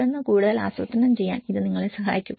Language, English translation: Malayalam, And then you can it will help you in planning further